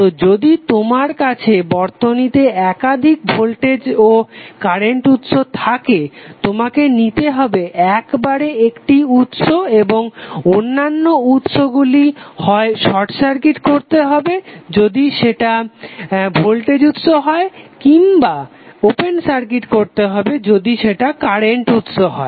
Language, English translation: Bengali, So if you have multiple voltage and current source in the network you will take one source at a time and other sources would be either short circuited if they are a voltage sources and the current source is would be open circuited